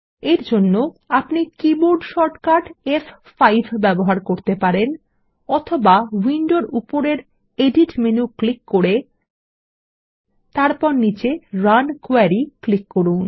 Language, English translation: Bengali, We can use the keyboard shortcut F5, or click on the Edit menu at the top of the window, and then click on Run Query at the bottom